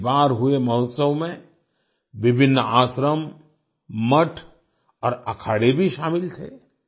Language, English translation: Hindi, Various ashrams, mutths and akhadas were also included in the festival this time